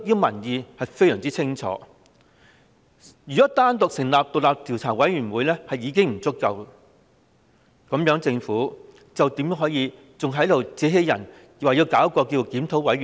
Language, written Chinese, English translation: Cantonese, 民意非常清晰，單單成立獨立調查委員會已不足夠，政府為何還能自欺欺人，提出成立檢討委員會？, Public opinion is very clear―forming an independent commission of inquiry is not enough . In the light of this how can the Government go on to deceive itself and others by proposing the forming of a review committee?